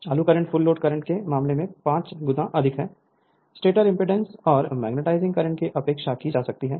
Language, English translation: Hindi, The starting current is five times the full load current the stator impedance and magnetizing current may be neglected